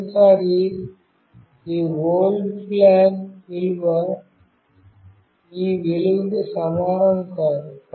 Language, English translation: Telugu, For the first time this old flag value was not equal to this value